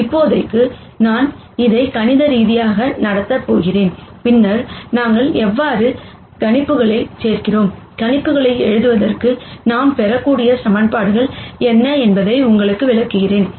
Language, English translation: Tamil, For now, I am just going to treat this mathematically, and then explain to you how we do projections and what are the equations that we can get for writ ing down projections